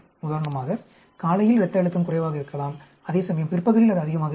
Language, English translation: Tamil, For example, blood pressure may be low in the mornings, whereas it could be high in the afternoon